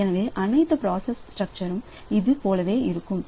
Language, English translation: Tamil, Now, every process structure is like this